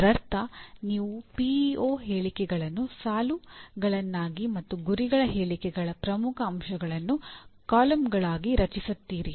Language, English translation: Kannada, That means you create a matrix with PEO statements as the rows and key elements of the mission statements as the columns